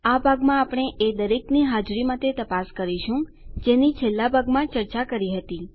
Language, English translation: Gujarati, In this part we are going to check for existence of all that was discussed in the last part